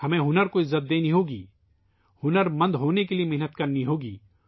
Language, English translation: Urdu, We have to respect the talent, we have to work hard to be skilled